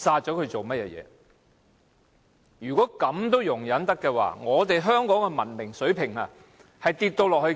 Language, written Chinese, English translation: Cantonese, "假如連這事也可容忍的話，便可見得香港的文明水平是如何的低落了。, The degradation of moral enlightenment of this city can then be confirmed if this is tolerable